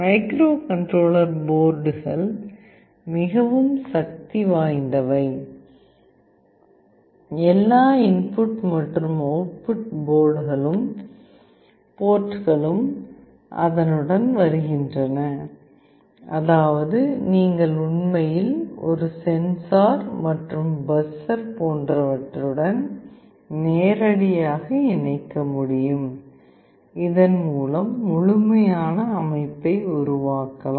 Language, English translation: Tamil, The microcontroller boards are so powerful that all input output ports come along with it, such that you can actually connect directly with a sensor, with the buzzer etc